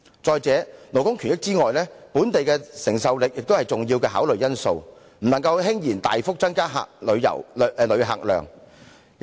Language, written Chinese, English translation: Cantonese, 再者，除了顧及勞工權益外，本地的承受力也是一個重要考慮因素，不能輕言大幅增加旅客量。, And besides the issue of labour rights the capability of the local community to cope is also an important factor to be considered . One should not take it too lightly while talking about increasing the number of visitors by great margins